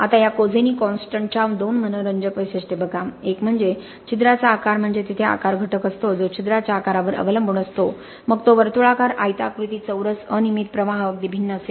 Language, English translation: Marathi, Now this Kozeny constant interestingly looks at two characteristics, one is the shape of the pore there is the shape factor that means depending upon the shape of the pore whether it is circular, rectangular, square, irregular the flow will be quite different